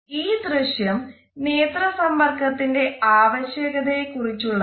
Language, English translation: Malayalam, This video is a very interesting illustration of the significance of eye contact